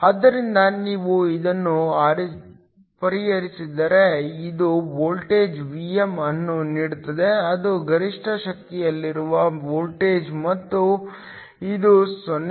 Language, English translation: Kannada, So, if you solve this, this gives the voltage Vm which is the voltage at maximum power, and this is equal to 0